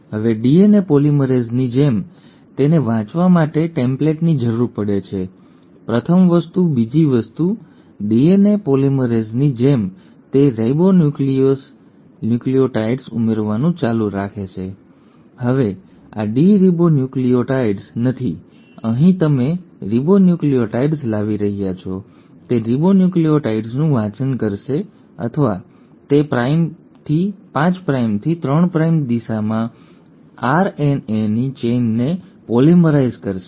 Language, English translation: Gujarati, Now just like DNA polymerase, it needs a template to read, the first thing, second just like DNA polymerase it will keep on adding the ribonucleotides; now these are not deoxyribonucleotides, here you are bringing in the ribonucleotides; it will read the ribonucleotides, or it will polymerise the chain of RNA in the 5 prime to 3 prime direction